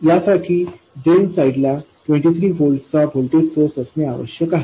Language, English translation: Marathi, For this, the voltage source on the drain side must be 23 volts